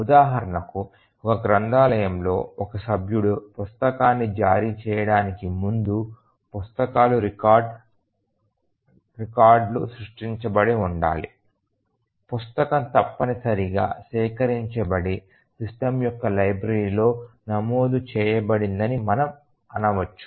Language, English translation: Telugu, For example, we might say that in a library before a book can be issued by a member the book records must have been created, the book must have been procured and entered in the systems library